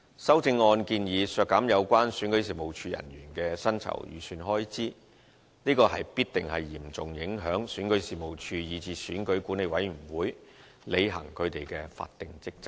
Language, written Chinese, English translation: Cantonese, 修正案建議削減有關選舉事務處人員的薪酬預算開支，這必定嚴重影響選舉事務處，以至選管會履行其法定職責。, The passage of the amendments which suggest reducing the estimated expenditure on personal emoluments for REO will surely seriously affect REO as well as EAC in discharging the statutory functions